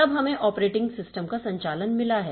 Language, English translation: Hindi, Then we have got the operating system operations